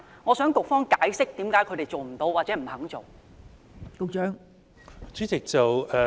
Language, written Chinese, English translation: Cantonese, 我請局方解釋為何他們做不到或不願意這樣做。, I call on the Bureau to explain why they have failed or have been unwilling to do so